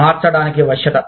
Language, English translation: Telugu, Flexibility to change